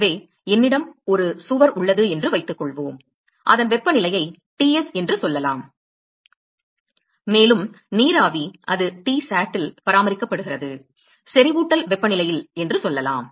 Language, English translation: Tamil, So, suppose I have a a wall which is at a let us say temperature Ts, and there is vapor which is maintained let us say at Tsat, at the saturation temperature